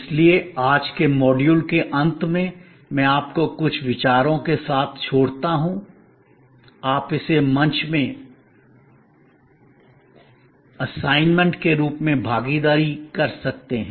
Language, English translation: Hindi, So, at the end of today's module, I leave with you some thoughts, you can consider this as an assignment for participation in the forum